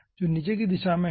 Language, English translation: Hindi, so which is the downward direction